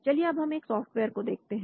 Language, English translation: Hindi, So let us also look at a software